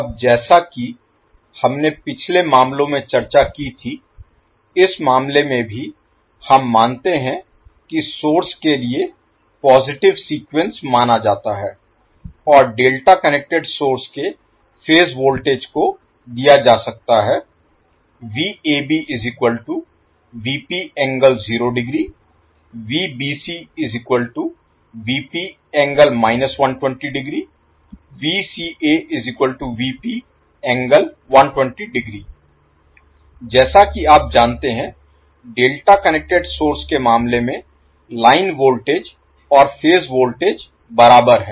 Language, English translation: Hindi, Now as we discussed in the previous cases, in this case also we assume that the positive sequence is considered for the source and the phase voltage of delta connected source can be given as Vab is equal to Vp angle 0 degree